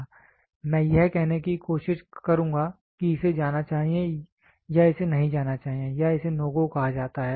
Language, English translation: Hindi, I would try to say this should go or this should not go or it is called as NO GO